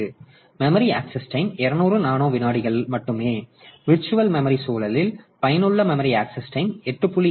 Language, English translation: Tamil, So, while the memory access time was only 200 nanosecond in the in the virtual memory environment, the effective memory access time is becoming 8